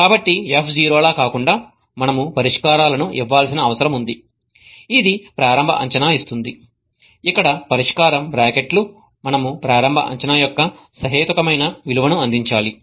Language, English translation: Telugu, Okay, so unlike F0 where we needed to give a solution that give initial guess that brackets the solution, here we need to provide a reasonable value of the initial guess